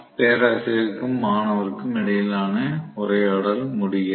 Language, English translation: Tamil, Conversation between professor and student ends